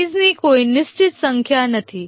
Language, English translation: Gujarati, There is no fixed number of phases